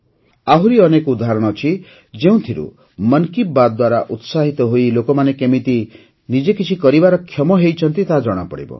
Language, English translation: Odia, There are many more examples, which show how people got inspired by 'Mann Ki Baat' and started their own enterprise